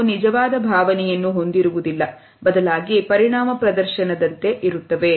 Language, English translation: Kannada, It is not accompanied by a genuine emotion, it is like an effect display